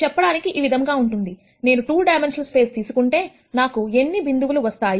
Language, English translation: Telugu, So, this is like saying, if I take a 2 dimensional space how many points can I get